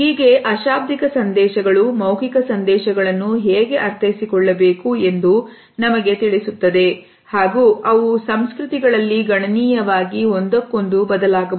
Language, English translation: Kannada, So, nonverbal messages tell us how to interpret verbal messages and they may vary considerably across cultures